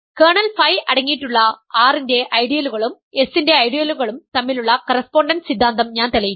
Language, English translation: Malayalam, I have proved that correspondence theorem between ideals of R that contain kernel phi and ideals of S